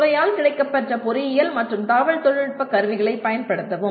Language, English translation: Tamil, Use the engineering and IT tools made available by the department